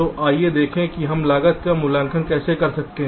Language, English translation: Hindi, so let us see how we can evaluate the cost